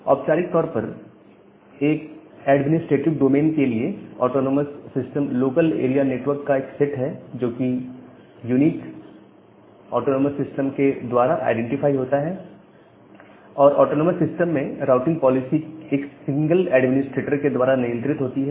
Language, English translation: Hindi, So, formally an autonomous system is a set of local area network for an administrative domain, identified by a unique autonomous system number and the routing policies are inside that autonomous system are controlled by a single administrator